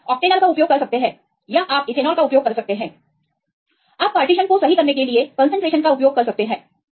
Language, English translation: Hindi, You can use the octonol you can ethanol right you can use the concentration to get the partition right